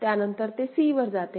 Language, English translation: Marathi, again 1 comes it goes to c